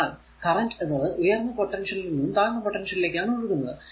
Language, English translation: Malayalam, Because current is flowing from lower potential to higher potential, right